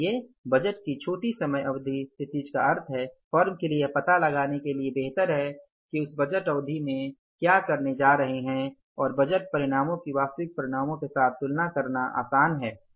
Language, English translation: Hindi, So, shorter the time period, horizon of the budget means is the better for the firm to find out what they are going to do in that budget period and comparing the budgeted results with the actual results, finding out the variances becomes easy